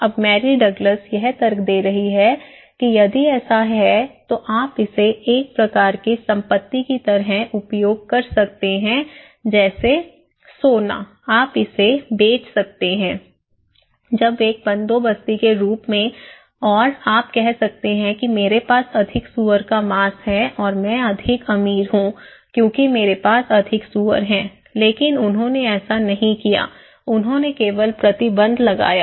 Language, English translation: Hindi, Now, somebody is now, Mary Douglas is arguing that if it is so, then you can use it like a kind of asset, okay like gold, you can sell it, when as an endowment and you can say the more pork I have, more rich I am, more pigs I have but they didnít do, they only put restrictions